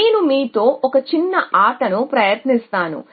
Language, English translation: Telugu, So, let me try out a small game with you